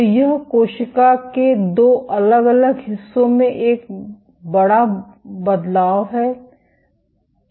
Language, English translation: Hindi, So, this is a make major difference in the 2 separate portions of the cell